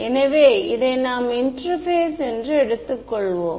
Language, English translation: Tamil, So, let us take this as the interface ok